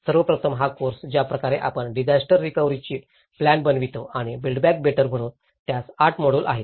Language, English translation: Marathi, First of all, this course, the way we planned disaster recovery and build back better, so it has 8 modules